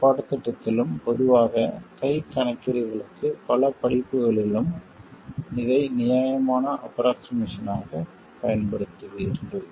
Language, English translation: Tamil, In this course and generally in many courses for hand calculations you will end up using this as a reasonable approximation